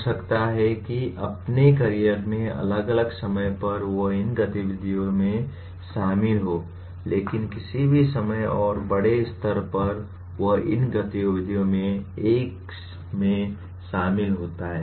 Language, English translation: Hindi, Maybe at different points in his career he may be involved in these activities, but by and large at any given time he is involved in one of these activities